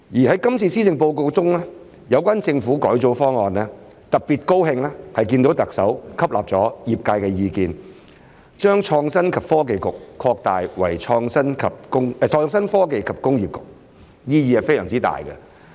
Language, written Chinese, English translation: Cantonese, 在今次的施政報告中，有關政府改組方案，特別高興看見特首吸納了業界的意見，將創新及科技局擴大為創新科技及工業局，意義非常重大。, In this Policy Address regarding the proposal on the reorganization of the Government I am particularly pleased to see that the Chief Executive has taken on board the views of the industry and expanded the Innovation and Technology Bureau into the Innovation Technology and Industry Bureau which bears great significance